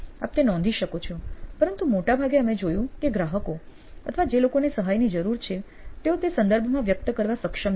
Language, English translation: Gujarati, You can note that down, but most times we find that customers or people who really need help are not able to express it in those terms